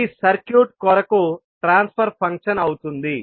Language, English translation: Telugu, That would be the transfer function for the circuit